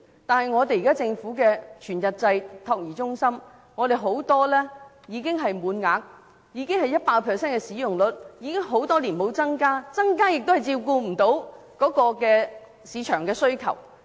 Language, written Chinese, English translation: Cantonese, 但現時政府的全日制託兒中心很多已滿額，使用率達 100%， 已經很多年沒有增加名額，即使增加名額也未能應付市場的需求。, But in many full - time child care centres of the Government all the places have already been taken up and their occupancy rates have reached 100 % . The number of places has seen no increase over the years and even with the provision of additional places they still cannot meet the demand of the market